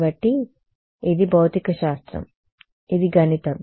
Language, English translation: Telugu, So, this is physics this is math ok